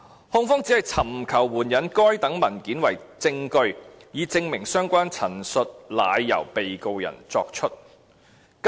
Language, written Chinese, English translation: Cantonese, 控方只是尋求援引該等文件為證據，以證明相關陳述乃由被告人作出"。, Rather the Prosecution is seeking to adduce the documents as evidence of the fact that such statements were made by the Defendant